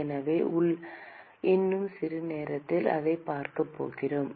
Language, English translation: Tamil, So, we are going to see that in a short while